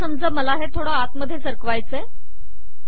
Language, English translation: Marathi, Now suppose I want to push this a little inside